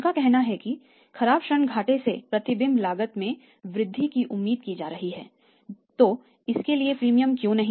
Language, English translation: Hindi, Their say bad debt losses are expected to increase the reflection cost is expected to increase why not the premium for that